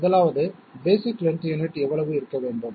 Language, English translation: Tamil, 1st of all, basic length unit how much should it be